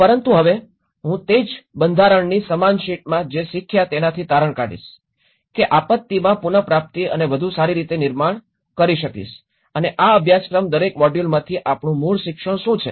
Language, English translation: Gujarati, But now, I will conclude with what we learnt in the same sheet of the same format, disaster recovery and build back better and this course from each module what are our key learnings